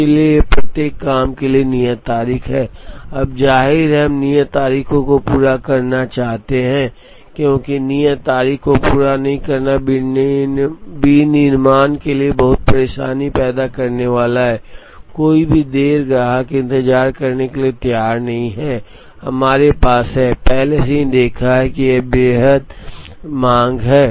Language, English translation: Hindi, So, each job has it is due date, now obviously, we want to meet the due dates, because not meeting the due date is going to create a lot of trouble for manufacturing, any delay the customer is not willing to wait, we have already seen that the customer is extremely demanding